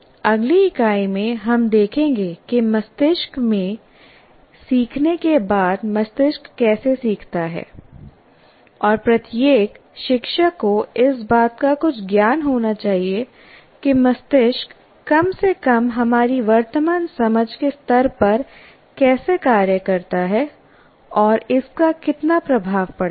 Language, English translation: Hindi, In the next unit we will look at how brains learn because every teacher after learning takes place in the brain and every teacher should have some knowledge of how the how the brain functions at least at the level now at our present level of understanding